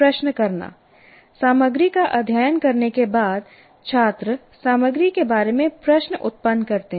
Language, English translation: Hindi, After studying the content, students generate questions about the content